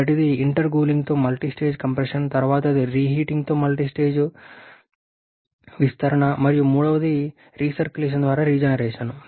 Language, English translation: Telugu, First is multistage compression with intercooling then multistage expansion is reheating and third is recirculation for regeneration